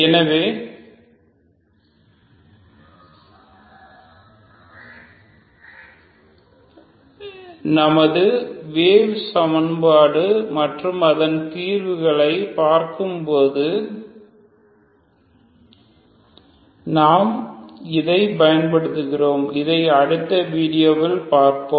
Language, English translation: Tamil, So that we make use when we work with our wave equation and its solutions ok so that we will see in the next video thank you very much